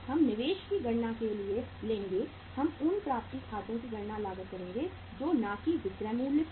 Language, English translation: Hindi, We will take the for calculating the investment we will calculate the accounts receivables at cost not at the selling price